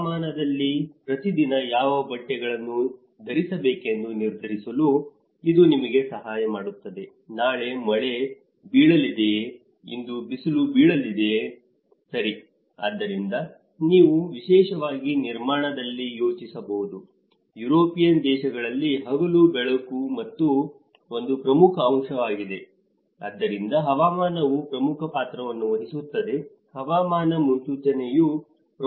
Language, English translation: Kannada, Whereas in a weather, it helps you to decide what clothes to wear each day, is it going to rain tomorrow, is it going to get sunshine today, is it a sunny day today right, so accordingly you can even plan especially in a construction department in the European countries because daylighting is an important aspect so, weather plays an important role, weather forecast plays an important role